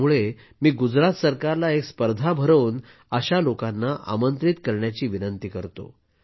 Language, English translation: Marathi, I request the Gujarat government to start a competition and invite such people